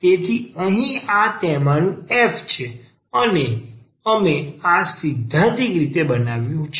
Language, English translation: Gujarati, So, this is our sorry here this is our f here, and we have constructed this theoretically